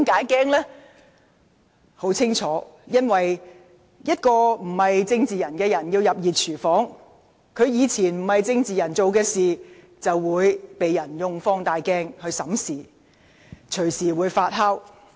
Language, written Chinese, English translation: Cantonese, 原因很清楚，一名非政治人物要進入"熱廚房"，以往以非政治人物身份所做的事會被人用放大鏡審視，隨時不斷發酵。, The reason is very clear . For a non - political figure to enter the hot kitchen whatever he or she had done in the past as a non - political figure will be examined with a magnifying glass which may cause trouble at any time